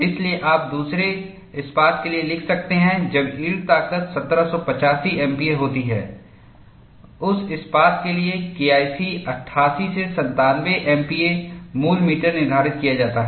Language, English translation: Hindi, So, you could write for the other steel, when the yield strength is 1785 MPa for that steel the K 1 C is determined to be 88 to 97 MPa root meter